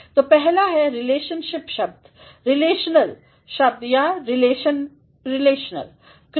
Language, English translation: Hindi, So, the first is the relational words, relational words or the relational verbs